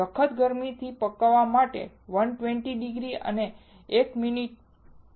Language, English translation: Gujarati, Hard bake is done at 120 degrees and for 1 minute